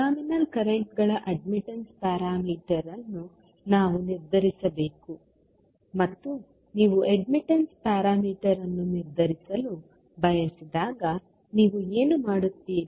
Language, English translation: Kannada, We have to determine the admittance parameter of the terminal currents and when you want to determine the admittance parameter, what you will do